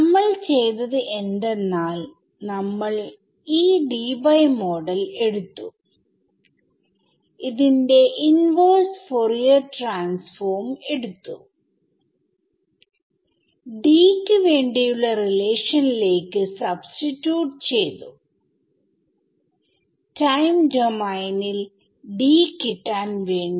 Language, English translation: Malayalam, So, what we did was we took this Debye model we took its inverse Fourier transform and substituted it into the relation for D to obtain D in the time domain